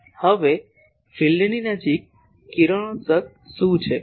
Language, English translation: Gujarati, Now, what is radiating near field